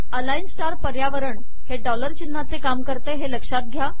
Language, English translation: Marathi, Note that the align star environment takes the role of the dollar signs